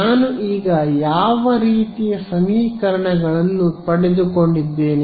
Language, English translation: Kannada, So, what kind of a sort of system of equations have I got now